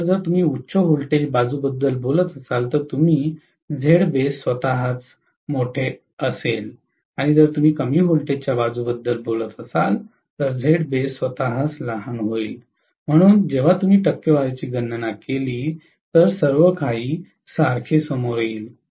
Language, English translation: Marathi, So, if you are talking about high voltage side you are going to have the Z base itself to be larger and if you are talking about the low voltage side the Z base itself will be smaller, so ultimately when you calculate the percentage everything will come out to be the same, no problem